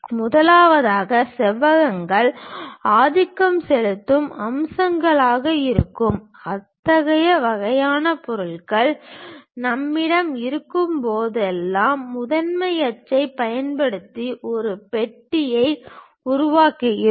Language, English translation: Tamil, First of all, whenever we have such kind of objects where rectangles are the dominant features we go ahead construct a box, using principal axis